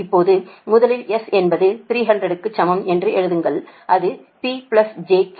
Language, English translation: Tamil, now, first you write s is equal to three hundred and it is p plus j q